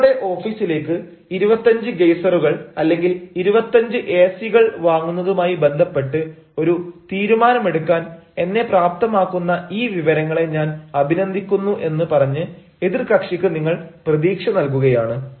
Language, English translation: Malayalam, i mean you are going to give some hope to the other party saying i appreciate this information that will enable us to decide, or that will enable me to decide, the purchase of twenty five geysers or twenty five a cs or whatsoever